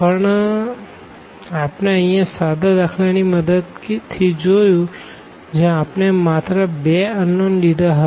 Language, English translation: Gujarati, But, we have seen here with the help of very simple examples where we have considered only two unknowns